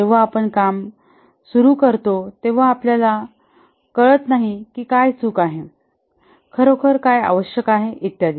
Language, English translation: Marathi, Only when you start doing, then you can know that what is wrong, what is really required and so on